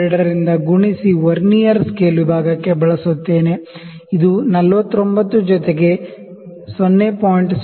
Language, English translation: Kannada, 02 into Vernier scale division; it is 49 plus 0